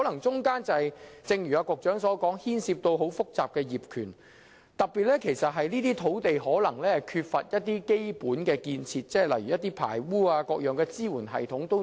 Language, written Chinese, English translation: Cantonese, 正如局長所說，當中可能牽涉很多複雜的業權問題，又例如有關土地可能缺乏基本建設，難以裝設排污系統等。, As pointed out by the Secretary many complex problems concerning the ownership may be involved or there is a lack of basic infrastructure facilities on those sites and it is difficult to install sewerage systems etc